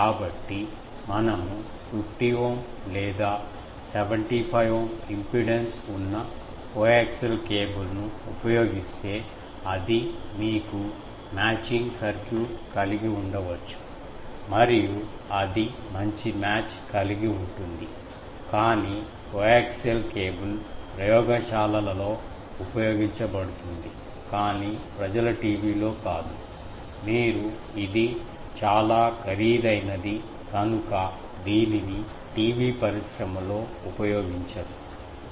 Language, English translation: Telugu, So, if we use a coaxial cable of either 50 Ohm or 75 Ohm impedance, then it is a you can have a matching circuit and have a good match, but coaxial cable is used in laboratories but not in TV people, you TV industry does not use it because it is quite costly